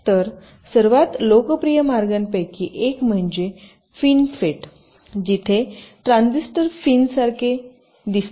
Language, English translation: Marathi, so one of the most popular ways is called fin fet, where the transistors look like fins